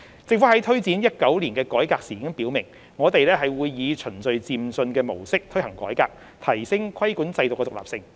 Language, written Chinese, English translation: Cantonese, 政府在推展2019年改革時已表明，我們會以循序漸進的模式推行改革，提升規管制度的獨立性。, In taking forward the reform in 2019 the Government made it clear that we would implement the reform under a step - by - step approach to enhance the independence of the regulatory regime